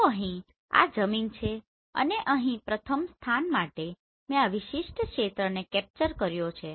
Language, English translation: Gujarati, So here this is the ground and here for the first position I have capture this particular area